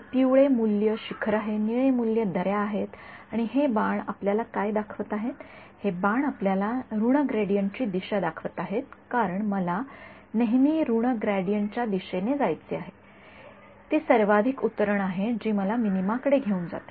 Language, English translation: Marathi, So, yellow value is the peak, blue values are the valleys and what are these arrows showing you these arrows are showing you the direction of the negative gradient because I want to always go in the direction of negative gradient that is the steepest descent that will take me to the minima